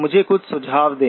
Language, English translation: Hindi, Let me suggest something